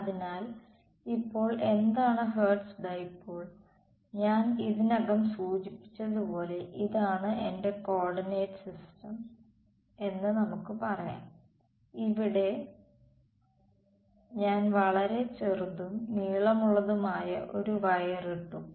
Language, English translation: Malayalam, So, now what is Hertz dipole, as I’ve already indicated let us say this is my coordinate system and I put one tiny is a wire over here very tiny and of dimension delta z